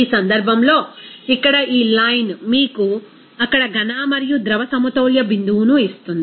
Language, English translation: Telugu, In this case, here, this line will give you that equilibrium point of that solid and liquid there